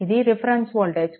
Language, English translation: Telugu, So, reference node